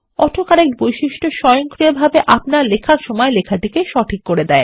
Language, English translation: Bengali, AutoCorrect feature automatically corrects text as you write